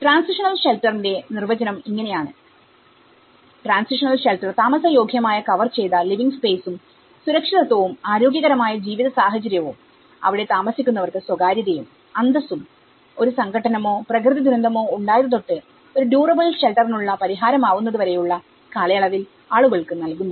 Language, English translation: Malayalam, So, this is how the definition of transitional shelter which it says the transitional shelter provides a habitable covered living space and the secure, healthy living environment, with privacy and dignity to those within it, during the period between a conflict or a natural disaster and the achievement of durable shelter solution